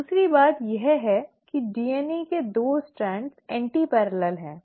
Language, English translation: Hindi, The second thing is that the 2 strands of DNA are antiparallel